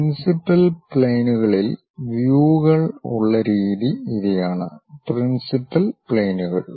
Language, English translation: Malayalam, The way views are there on principal planes, these are the principal planes